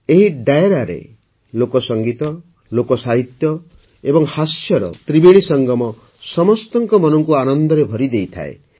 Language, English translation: Odia, In this Dairo, the trinity of folk music, folk literature and humour fills everyone's mind with joy